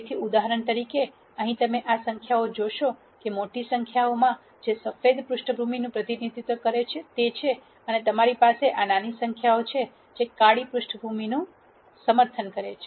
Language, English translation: Gujarati, So, for example, here you see these numbers which are large numbers which represent white back ground and you have these small numbers which represent black background